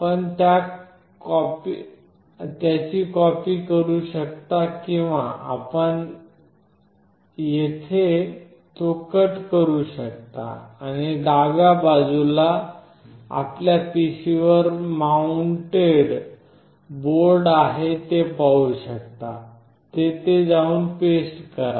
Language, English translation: Marathi, You copy it or you can cut it from here, and you can see in the left side is the board which is mounted on the PC; you go here and you paste it